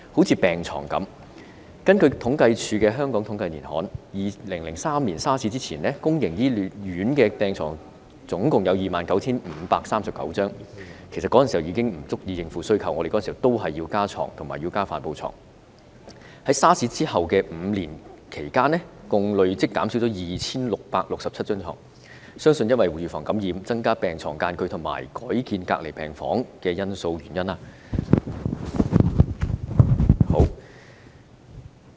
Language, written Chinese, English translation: Cantonese, 以病床為例，根據政府統計處《香港統計年刊》，在2003年 SARS 發生前，公營醫院共有 29,539 張病床——其實當年已不足以應付需求，我們當年也要增加病床和帆布床——在 SARS 發生後的5年間，累計減少了 2,667 張病床，原因相信是為了預防感染，增加病床之間的距離和改建隔離病房等。, According to The Hong Kong Annual Digest of Statistics of the Census and Statistics Department CSD before the SARS outbreak in 2003 there were 29 539 beds in public hospitals . The number of beds was in fact insufficient to meet the demand at that time additional beds and canvas beds were also needed . Within five years after the SARS outbreak there was a cumulative reduction of 2 667 beds for the purported reasons of preventing infection allowing a greater space between beds and setting up isolation wards etc